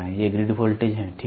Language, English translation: Hindi, These are the grid voltages, ok